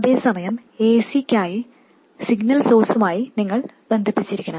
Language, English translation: Malayalam, At the same time, it should also get connected to the signal source for AC